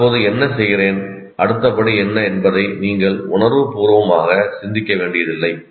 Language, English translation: Tamil, You don't have to consciously think of what exactly do I do now, what is the next step